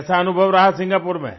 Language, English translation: Hindi, How was your experience in Singapore